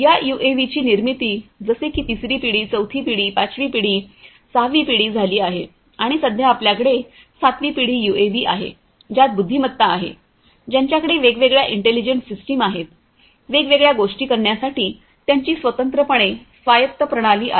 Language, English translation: Marathi, That was the second generation like this these UAVs have evolved over the years third generation, fourth generation, fifth generation, sixth generation and at present we have the seventh generation UAV which have intelligent, which have different intelligent systems fully autonomous systems in place for doing different things